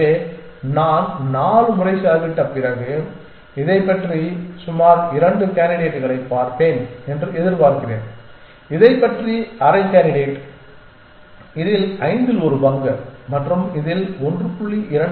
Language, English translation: Tamil, So, after I spend 4 times I expect to see about 2 candidates of this about half candidate of this about one fifth of this and 1